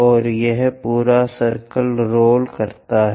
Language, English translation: Hindi, And this entire circle rolls